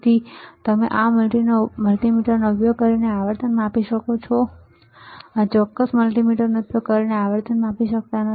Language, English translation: Gujarati, So, we can measure the frequency using this multimeter, we cannot measure the frequency using this particular multimeter